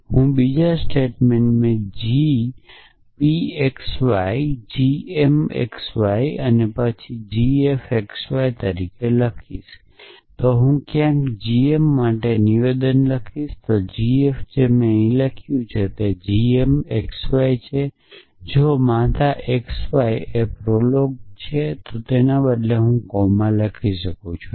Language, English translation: Gujarati, statement as g p x y g m x y then g f x y then somewhere I would write a statement for g m then g f which is what I have written here which is that g m x y if a mother x y prolog is it is a coma instead of